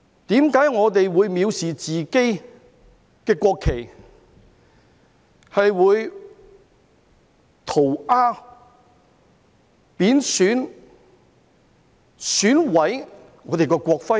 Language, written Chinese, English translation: Cantonese, 為何我們會藐視自己的國旗，會塗鴉、貶損、損毀我們的國徽？, Why do we despise our national flag and scrawl on disrespect and damage our national emblem?